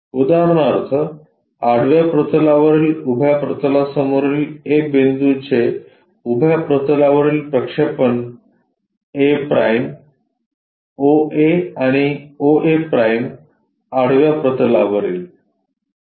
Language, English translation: Marathi, For example, a point which is in front of vertical plane above the horizontal plane gives a projection on the vertical plane a’ o a and o a’ on the horizontal plane